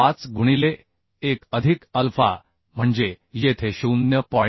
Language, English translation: Marathi, 5 into 1 plus alpha means here 0